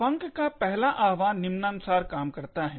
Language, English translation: Hindi, The first invocation of func works as follows